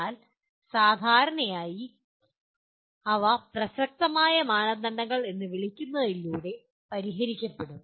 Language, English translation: Malayalam, But normally they do get addressed through what you call relevant standards